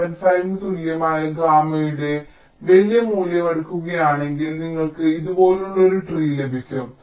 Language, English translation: Malayalam, but if you take a larger value of gamma gamma equal to point seven, five you get a tree like this